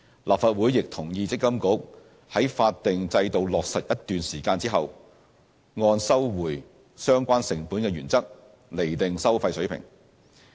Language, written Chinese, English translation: Cantonese, 立法會亦同意積金局在法定制度落實一段時間後，按收回相關成本的原則，釐定收費水平。, The Legislative Council also agreed that MPFA should set the fee levels according to the cost - recovery principle after the statutory regime has been implemented for a period of time